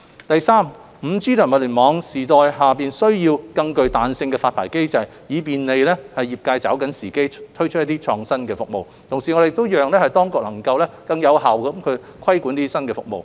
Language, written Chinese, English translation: Cantonese, 第三 ，5G 及物聯網時代下需要更具彈性的發牌機制，以便利業界抓緊時機推出創新服務，同時讓當局能夠更有效規管這些新服務。, Third a more flexible licensing mechanism is needed in the 5G and IoT era so as to facilitate the timely introduction of innovative services by the industry and enable the authorities to regulate such new services more effectively